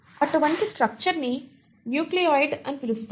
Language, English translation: Telugu, Such a structure is what you call as the nucleoid